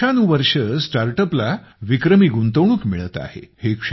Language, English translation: Marathi, Startups are getting record investment year after year